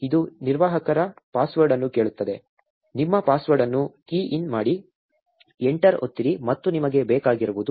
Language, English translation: Kannada, It will ask for an administrator password, key in your password, press enter and that is all you need